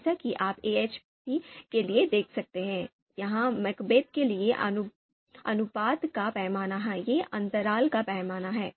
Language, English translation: Hindi, As you can see for AHP, it is ratio scale; for MACBETH, it is the interval scale